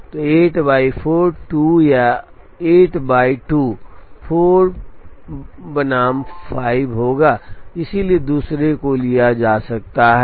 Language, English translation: Hindi, So, 8 by 4 will be 2 or 8 by 2 will be 4 versus 5, so the other one can be taken